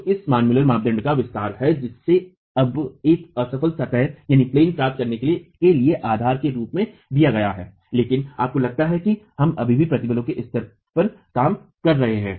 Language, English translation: Hindi, So, this is the extension of the Manmuller criterion which is now given as a basis to get a failure plane but mind you we are still working at the level of stresses